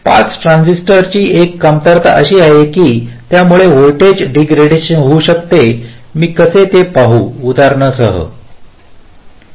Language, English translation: Marathi, one drawback of the pass transistor is that it can incur some voltage degradation